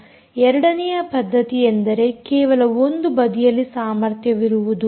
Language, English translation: Kannada, the second method is you have um only one side capability